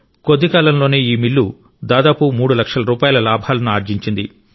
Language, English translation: Telugu, Within this very period, this mill has also earned a profit of about three lakh rupees